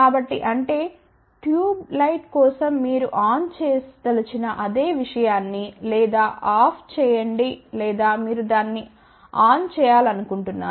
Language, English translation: Telugu, So; that means, on or off the same thing you can say for tube light ok you want to turn it on or you want to turn it off ok